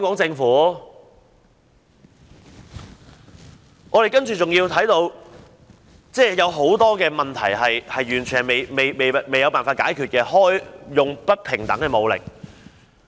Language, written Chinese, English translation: Cantonese, 此外，我們看到很多問題完全未有辦法解決，例如警方使用不平等的武力。, Moreover we notice there is no solution at all to many problems . The use of disproportionate force by the Police is a case in point